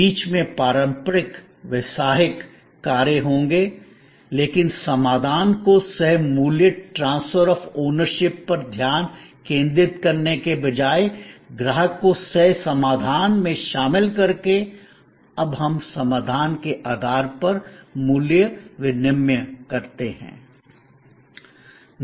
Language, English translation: Hindi, There will be the traditional business functions in the middle, but by involving customer in co creating the solution, instead of focusing on transfer of ownership based value exchange, we now the value exchange based on solution